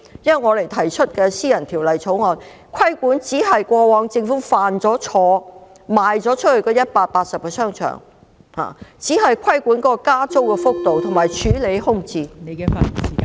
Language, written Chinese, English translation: Cantonese, 我們提出的私人條例草案，亦只是糾正政府過往出售180個商場所犯的錯誤，以及規管加租幅度和處理空置問題而已。, The private bill proposed by us merely seeks to rectify the past mistake made by the Government in divesting 180 shopping arcades and to regulate the rate of increase in rents and tackle the vacancy problem